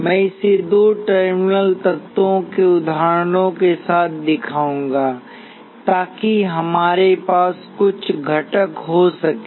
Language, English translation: Hindi, I will show this with examples of two terminal elements, so we can have some components